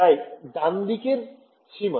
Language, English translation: Bengali, So, right hand side boundary ok